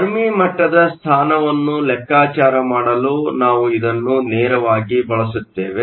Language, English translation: Kannada, We would use this directly to calculate the position of the Fermi level